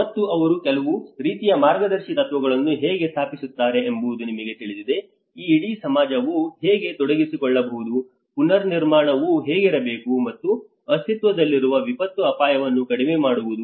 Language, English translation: Kannada, And that is how they sort of establish some kind of guiding principles you know how this whole the society could be engaged, how the build back better has to be, the build back better for preventing the creation and reducing existing disaster risk